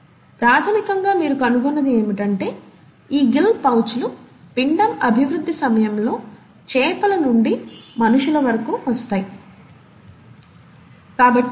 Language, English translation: Telugu, So, basically, what you find is that these gill pouches are present during the embryonic development all across from fish to the humans